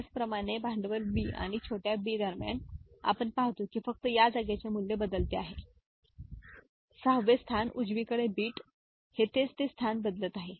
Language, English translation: Marathi, Similarly, between capital B and small b we see that only this place the value is changed 6th place, right, 7 bit this is the place it is changing